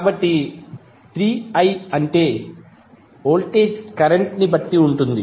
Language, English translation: Telugu, So, 3i means voltage is depending upon the current